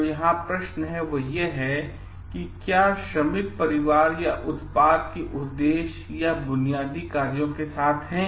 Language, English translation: Hindi, So, the question here it is; so, are the workers family or with the purpose or basic functions of the product